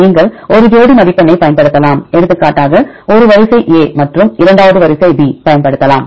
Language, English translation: Tamil, Then you can also use sum of pair score for example, if a sequence a and you can the second sequence b